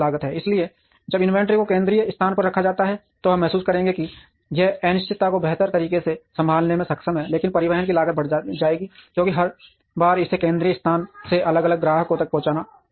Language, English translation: Hindi, So, when inventory is held in a central place, we would realize that it is able to handle uncertainty better, but the cost of transportation would increase, because every time it has to be transported from a central place to different customers